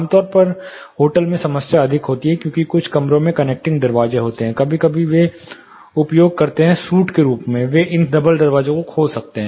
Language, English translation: Hindi, Typically in hotels the problem is more, because some of the rooms have connecting doors, sometimes they make use of is as suit's they can open up this double doors